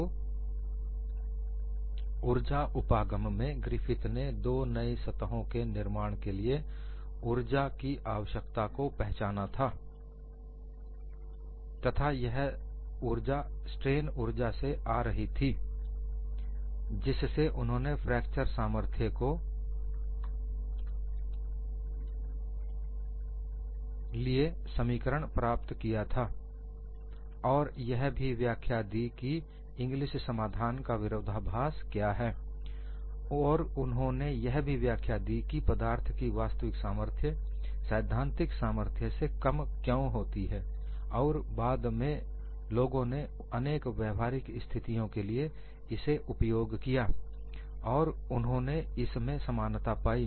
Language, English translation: Hindi, So from the energy approach, Griffith identified formation of two new surfaces requires energy to be given from the strain energy of the system helped him to get the expression for fracture strength, which also explain the paradox of Inglis solution, also explained why actual strength of the material is far below the theoretical strength, and later on when people carried out for variety of practical situations, they found the similarity